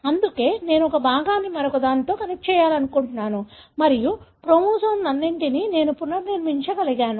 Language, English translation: Telugu, That’s why I am able to connect one fragment with the other and I am able to recreate the entire, know, chromosomes